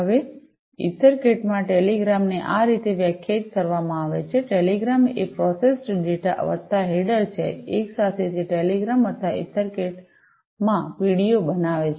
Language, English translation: Gujarati, Now, in EtherCAT this telegram is defined in this manner, telegram is the processed data plus the header, together it forms the telegram or the PDO in EtherCAT